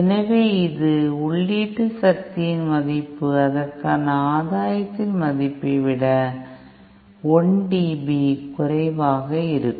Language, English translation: Tamil, So, this is that value of the input power for which the value of the gain will be 1 dB lesser than what it should have been